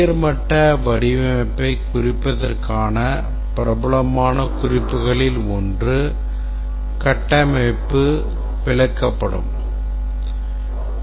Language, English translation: Tamil, One of the popular notations for representing the high level design is a structure chart